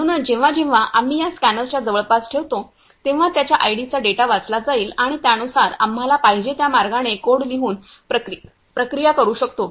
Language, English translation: Marathi, So, this scanner whenever we will place these in the close proximity of this scanner, the data their unique IDs will be read and accordingly we can process it by writing the code in whichever way we want